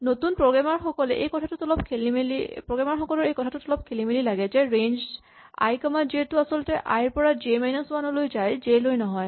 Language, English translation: Assamese, It is often confusing to new programmers that range i comma j is actually from i to j minus 1 and not to j itself